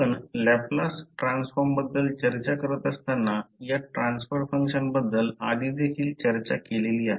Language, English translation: Marathi, This transfer function concept we have already discussed when we were discussing about the Laplace transform